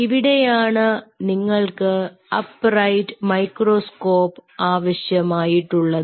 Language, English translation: Malayalam, you will be needing an upright microscope